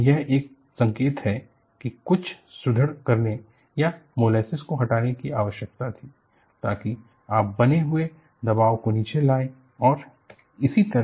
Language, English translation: Hindi, That is one indication, that some reinforcement need to be done or removes molasses, so that, you bring down the pressure build up and so on and so forth